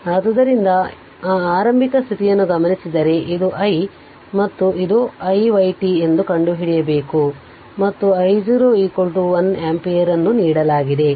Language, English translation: Kannada, So, given that initial condition this is i and this is i y you have to find out i t and i y t given that I 0 is equal to 1 ampere